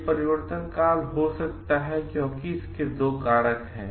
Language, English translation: Hindi, This transition may happen because there are 2 factors